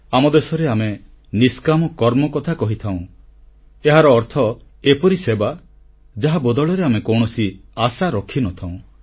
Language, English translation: Odia, In our country we refer to 'NishKaam Karma', selfless deeds, meaning a service done without any expectations